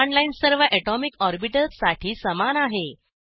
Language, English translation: Marathi, The command line is same for all atomic orbitals